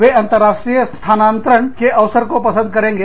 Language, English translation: Hindi, They would like the opportunity, to be transferred, internationally